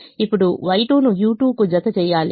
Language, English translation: Telugu, now y two is mapped to u two